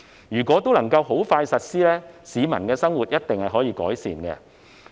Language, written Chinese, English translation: Cantonese, 如果能很快便實施有關政策措施，市民的生活一定可以改善。, If they can be implemented expeditiously there will definitely be improvements in peoples living